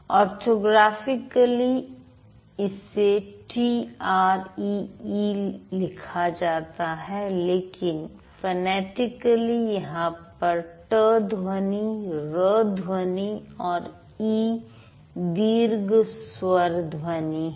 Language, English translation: Hindi, So, when I, orthographically it is written T R E but phonetically there is ter sound, raw sound and e, long vowel sound